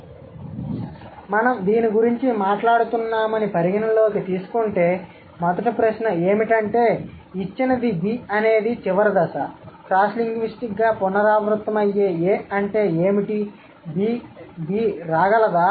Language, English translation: Telugu, So, considering we are talking about this, the first question is that given B is the final stage, what are the cross linguistically recurrent A's that B can come